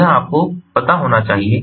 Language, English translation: Hindi, so here you know